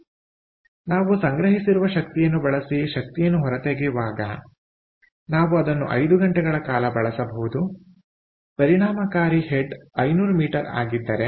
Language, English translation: Kannada, so when we actually extract the energy out of, when we use the store energy, we can use it for five hours if the effective head is five hundred meters